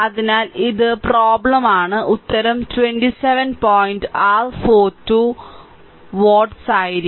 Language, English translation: Malayalam, So, it is exercise for you and answer will be 27 point your 4 2 watts